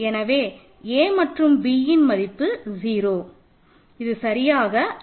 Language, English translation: Tamil, So that means, hence a and b are 0 which is exactly the linear independence right